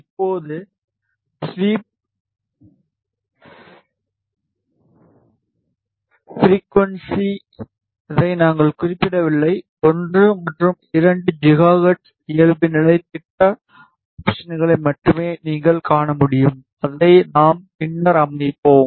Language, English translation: Tamil, Now the sweep frequency, we have not specified; its only 1 and 2 gigahertz as as you can see default project options ah we will set it later